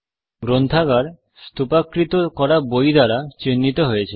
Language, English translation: Bengali, The library is indicated by a stack of books